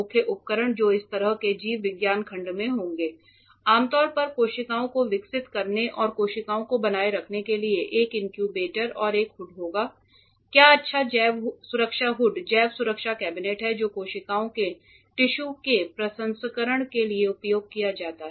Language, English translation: Hindi, The main equipment that will be there in such a biology section will be usually an incubator for growing the cells and maintaining cells and a hood, what good biosafety hood biosafety cabinet that is used for processing the cells tissues etcetera ok